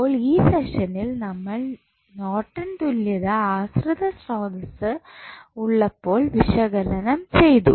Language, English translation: Malayalam, So, in this session we found the we analyzed the Norton's equivalent when the dependent sources were available